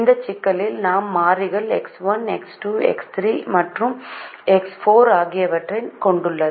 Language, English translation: Tamil, the problem has four variables: x, one, x, two, x three and x four